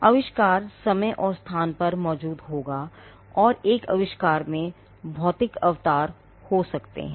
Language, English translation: Hindi, The invention will exist in time and space, and an invention can have physical embodiments